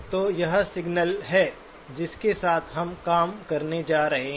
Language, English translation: Hindi, So that is the signal that we are going to be working with